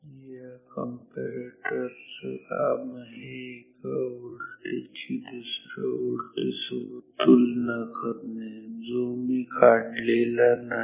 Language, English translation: Marathi, The task of these two comparators is to compare another voltage which I have not drawn or let me just draw it